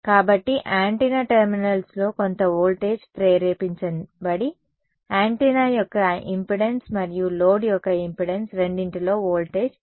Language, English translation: Telugu, So, this is the same is that fairly intuitive right some voltage is induced across the antenna terminals that voltage is falling across both the impedance of the antenna and the impedance of the load